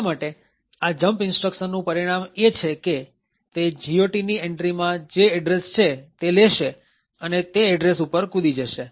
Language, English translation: Gujarati, Therefore, the result of this jump instruction is that it is going to take the address present in the GOT entry and jump to that address